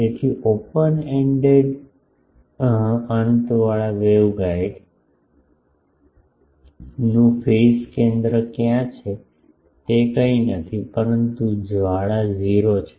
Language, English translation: Gujarati, So, where is the phase center of the open ended waveguide, which is nothing, but flaring is 0